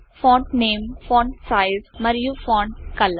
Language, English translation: Telugu, Font name,Font size, Font color in writer